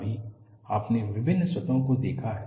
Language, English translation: Hindi, Right now, you have seen different surfaces